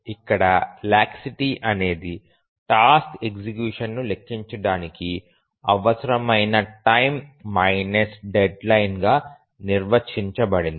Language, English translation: Telugu, So, here the laxity is defined as the deadline minus the time required to compute the task execution